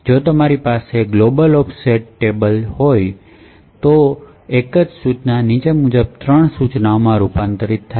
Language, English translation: Gujarati, If you have a global offset table however, the same single instruction gets converted into three instructions as follows